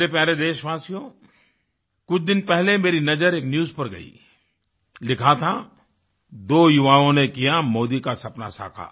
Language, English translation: Hindi, My dear countrymen, a few days ago I happened to glance through a news item, it said "Two youths make Modi's dream come true"